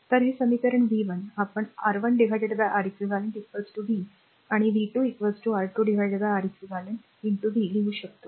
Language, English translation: Marathi, So, this equation v 1 we can write R 1 upon Req equal to v and v 2 is equal to R 2 upon Req into v